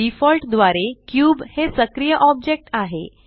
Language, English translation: Marathi, By default, the cube is the active object